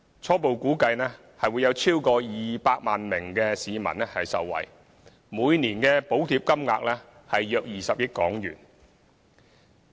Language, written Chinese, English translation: Cantonese, 初步估計會有超過200萬名市民受惠，每年的補貼金額約20億元。, According to our preliminary estimations over 2 million commuters can benefit from the Scheme and the annual subsidy amount will be around 2 billion